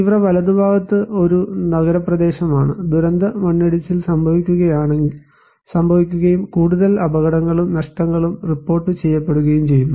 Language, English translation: Malayalam, In the extreme right, we have another one which is an urban area and disaster landslide took place and more casualty and losses are reported